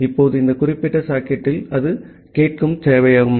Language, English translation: Tamil, Now, the server it is listening on this particular socket